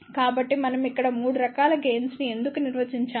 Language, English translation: Telugu, So, why we are defining 3 different types of gain over here